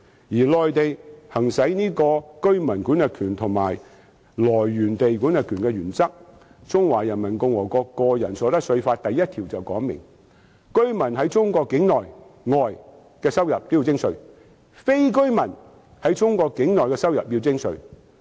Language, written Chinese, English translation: Cantonese, 至於內地，則行使居民管轄權和收入來源地管轄權的原則，《中華人民共和國個人所得稅法》第一條便訂明，居民在中國境內、外的收入均要徵稅，非居民在中國境內的收入要徵稅。, As for the Mainland it adopts the principle of residence jurisdiction and source jurisdiction . Article 1 of the Individual Income Tax Law of the Peoples Republic of China already stipulates that a residents incomes from sources within and outside China are taxable and a non - residents incomes from sources within China are likewise taxable